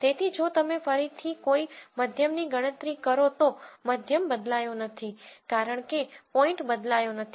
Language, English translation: Gujarati, So, if you again compute a mean because the points have not changed the mean is not going to change